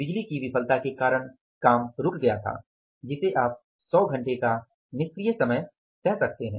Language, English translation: Hindi, There was a stoppage of work due to power failure which you can call as idle time for 100 hours